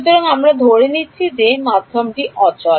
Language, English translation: Bengali, So, we are assuming that the medium is static